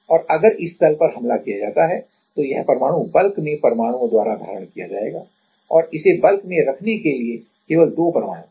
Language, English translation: Hindi, And if this plane is attacked then this atom will be hold by the by the atoms at the bulk and there are only 2 atoms to hold this in the bulk